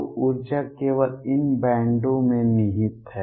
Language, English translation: Hindi, So, energy lies only in these bands